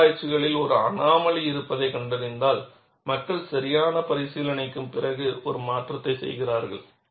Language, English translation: Tamil, If some researchers find, there is an anomaly, people do make a modification, after due consideration